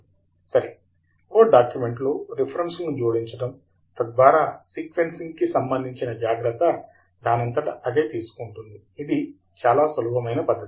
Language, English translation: Telugu, Ok so, adding references in a Word document, so that the sequencing is taken care is as simple as that